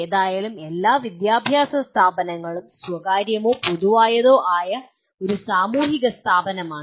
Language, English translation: Malayalam, After all any educational institution, private or public is a social institution